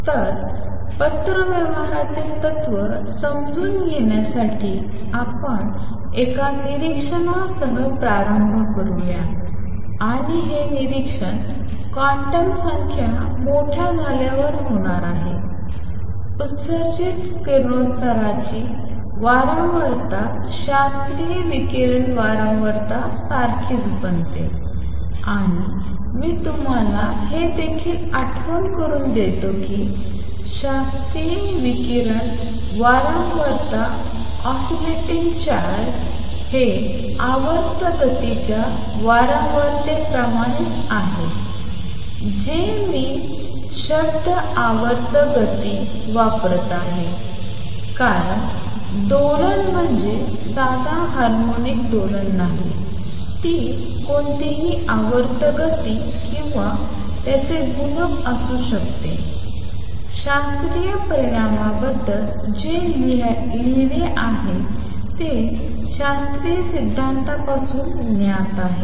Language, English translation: Marathi, So, to understand correspondence principle let us start with an observation and this observation is going to be as the quantum numbers become large, the frequency of radiation emitted becomes the same as classical radiation frequency and let me also remind you that the classical radiation frequency from an oscillating charge is the same as the frequency of periodic motion notice that I am using word periodic motion because oscillation does not mean a simple harmonic oscillation, it could be any periodic motion or its multiples, what are written about classical result is known from classical theory